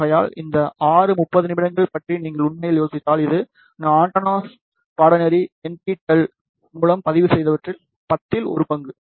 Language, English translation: Tamil, So, you can actually think about six 30 minutes is about one tenth of what I have recorded through antennas course NPTEL